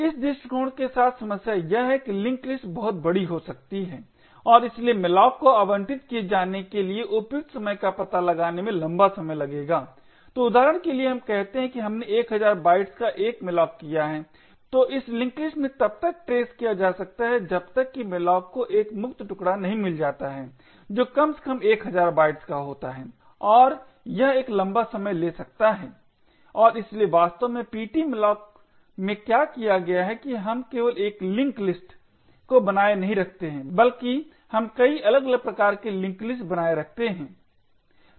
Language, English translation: Hindi, The problem with this approach is that the link list could be very large and therefore malloc would take a long time to find the appropriate chunk to be allocated, so for example let us say we have done a malloc of 1000 bytes then this link list has to be traversed until malloc finds one free chunk which is at least of 1000 bytes and this could take a long time and therefore what this actually done in ptmalloc is that we do not maintain just one link list but we maintain multiple different types of ink list